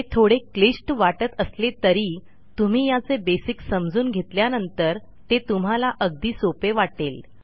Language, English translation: Marathi, This is a bit more complex but once you learn the basics you will find it a lot easier